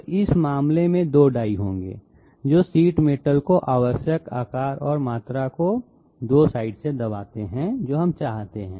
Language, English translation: Hindi, So in this case there will be 2 dies coming from 2 sides pressing the sheet metal to the required shape and size that we want